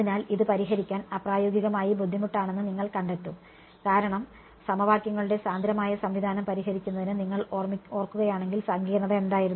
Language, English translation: Malayalam, So, you will find that this becomes impractically difficult to solve because to solve a dense system of equations what was the complexity if you remember